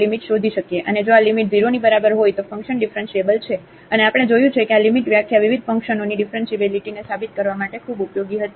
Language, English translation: Gujarati, And, if this limit equal to 0 then the function is differentiable and we have observed that this limit definition was quite useful for proving the differentiability of various functions